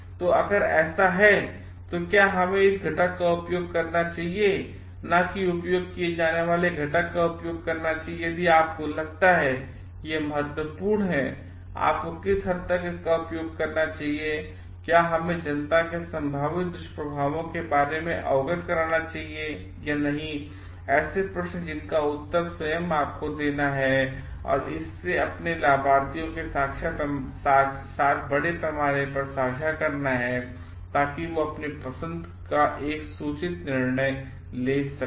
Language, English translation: Hindi, So, if that is so then should we may be use this ingredient, not used ingredient if you feel like it is important to what extent you should use it and should we make the public aware of the possible side effects or not or a series of questions that you need to answer to yourself and share it with your beneficiaries at large, so that they can take an informed decision of their choices